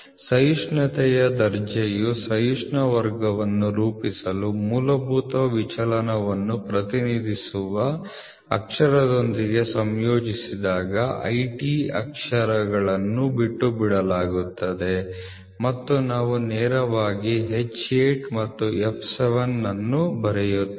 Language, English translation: Kannada, When the tolerance grade is associated with a letter representing a fundamental deviation to form a tolerance class, the letters IT are omitted and we directly write H8 and f 7